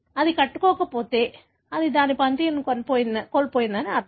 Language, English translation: Telugu, If it does not bind that means it has lost its function